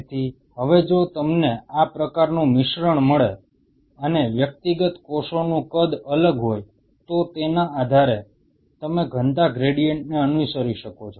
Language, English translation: Gujarati, So now if you get this kind of mix and the individual cells have different size, then by virtue of which you can follow the density gradient